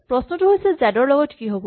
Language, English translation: Assamese, The question is what happens to z